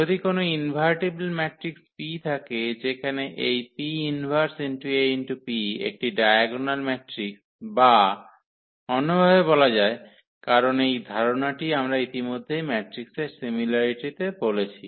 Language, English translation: Bengali, If there exists an invertible matrix P such that this P inverse AP is a diagonal matrix or in other words, because this concept we have already introduced the similarity of the matrices